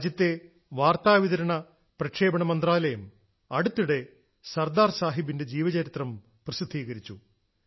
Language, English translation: Malayalam, The Information and Broadcasting Ministry of the country has recently published a pictorial biography of Sardar Saheb too